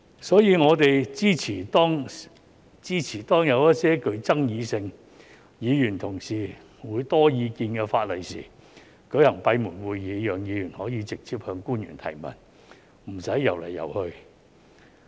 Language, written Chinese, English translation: Cantonese, 所以，我們支持當有一些具爭議性而議員同事會有很多意見的法例時，舉行閉門會議，讓議員可以直接向官員提問，不用"遊來遊去"。, Therefore we support holding closed meetings when there are controversial laws on which Members have many opinions so that Members can directly raise questions to officials without going round in circles